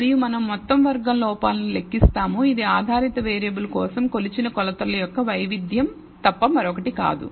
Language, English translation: Telugu, And we will compute sum squared errors which is nothing but the variance of the measured measurements for the dependent variable